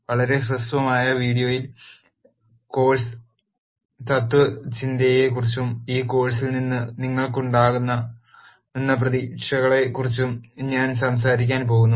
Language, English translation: Malayalam, In this very brief video, I am going to talk about the course philosophy and the expectations that you could have from this course